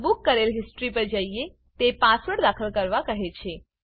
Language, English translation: Gujarati, Lets go to booked history, it says enter the password